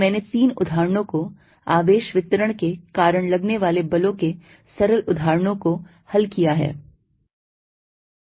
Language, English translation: Hindi, So, I have solved three examples simple examples of forces due to charge distribution